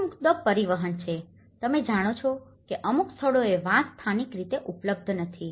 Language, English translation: Gujarati, The main issue is the transport, you know like in certain places bamboo is not locally available